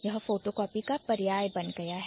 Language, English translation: Hindi, This has become synonymous to photocopying